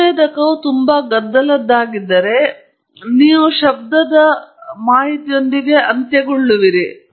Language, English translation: Kannada, If the sensor is very noisy, you are going to end up with a noisy data